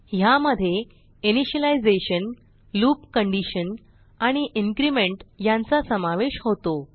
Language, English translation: Marathi, It consisits of initialization, loop condition and increment